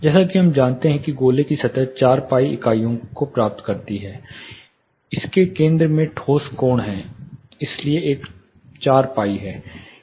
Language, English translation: Hindi, As we all know surface of the sphere a spheres obtains 4 pi units, solid angle at its center, so there is a 4 pi